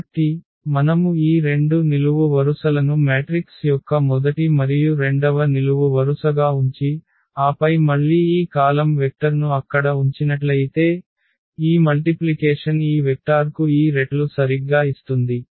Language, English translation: Telugu, So, if we put these 2 columns as the first and the second column of a matrix and then this s t again column vector there, so that multiplication which exactly give this s times this vector plus t times this vector